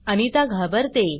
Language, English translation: Marathi, Anita gets scared